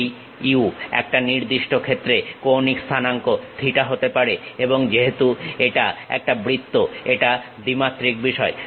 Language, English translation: Bengali, This u can be theta angular coordinate in one particular instance case and because it is a circle 2 dimensional thing